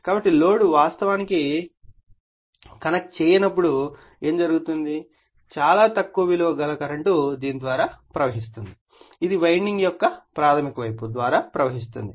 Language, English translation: Telugu, So, when load is actually not connected so, what will happen is very small current right will flow through this your what you call through this primary side of the winding